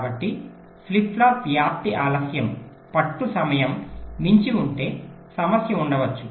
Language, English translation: Telugu, so if a flip flop propagation delay exceeds the hold time, there can be a problem